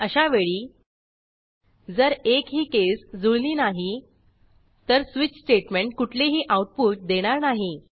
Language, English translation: Marathi, In such a scenario, if none of the cases match then there will be no output from the switch statement